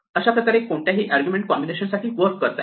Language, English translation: Marathi, This can work for any combination of arguments